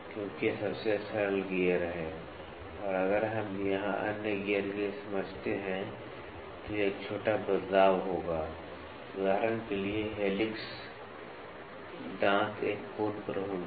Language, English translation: Hindi, So, the spur gear why spur gear, because it is the most simplest gear and if we understand here for the other gears it will be a small variation for example, helix, the teeth will be at an angle